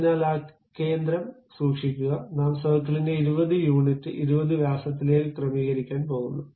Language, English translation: Malayalam, So, keep that center, I am going to adjust this circle to 20 units 20 diameters